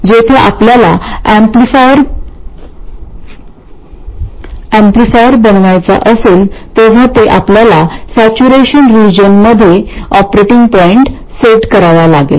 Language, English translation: Marathi, So when we want to realize an amplifier we have to set the operating point in this region, in the saturation region